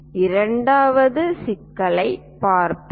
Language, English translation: Tamil, Let us look at the second problem